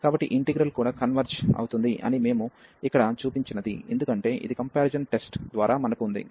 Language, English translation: Telugu, So, what we have shown here that this integral also converges, because this we have by the comparison test